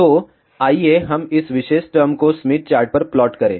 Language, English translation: Hindi, So, let us plot this particular term on the Smith chart